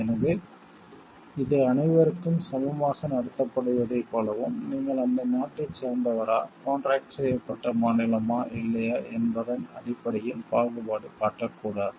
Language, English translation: Tamil, So, it talks of like equal treatment to everyone and not discriminating based on whether you belong to that country and contracting state or not